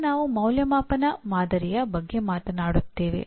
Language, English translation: Kannada, Now we talk about assessment pattern